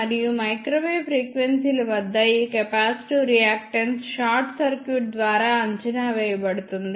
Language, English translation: Telugu, And at microwave frequencies this capacitive reactance can be approximated by a short circuit